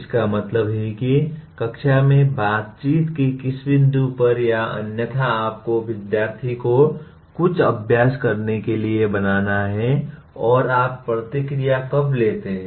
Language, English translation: Hindi, That means at what point of interaction in the classroom or otherwise you have to make student to practice something and when do you take the feedback